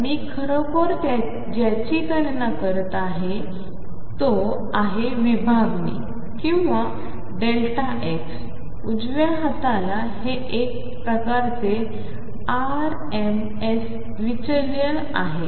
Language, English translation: Marathi, So, what I am really actually calculating is this spread or delta x delta p on the right hand side this is kind of rms deviation